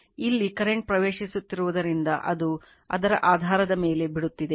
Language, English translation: Kannada, Because current here is entering here it is leaving so, based on that